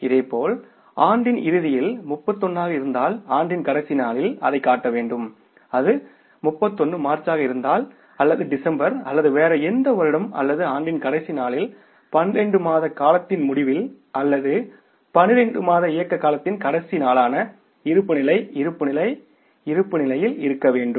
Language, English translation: Tamil, Similarly at the end of the year, we have to show that on the last day of the year if it is 31 March if it is 31st December or any other year or the end of that period of 12 months on that last day of the year or that last day of the operating period of 12 months the balance sheet must be in the state of balance all the assets must be equal to the liabilities plus capital or the liabilities plus capital must be equal to the assets